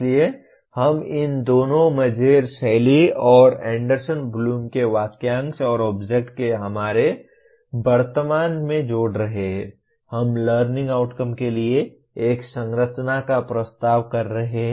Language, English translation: Hindi, So we are combining these two Mager style and the phrase and object of Anderson Bloom into our present, we are proposing a structure for the learning outcomes